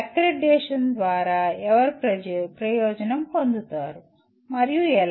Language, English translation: Telugu, Who is benefited by accreditation and how